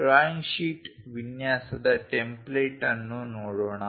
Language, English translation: Kannada, Let us look at a template of a drawing sheet layout